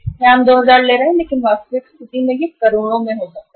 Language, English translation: Hindi, Here we are taking 2000 but in the actual situation it can be in crores